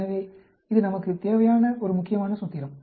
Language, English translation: Tamil, So, this is a important formula we need to remember